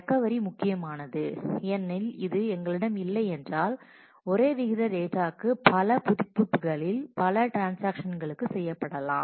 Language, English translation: Tamil, This is important for recovery because if we did not have this, then it is possible that multiple updates to the same rate item are done by multiple transactions